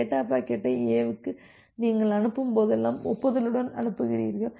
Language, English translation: Tamil, You are sending the acknowledgement along with whenever you are sending the data packet to A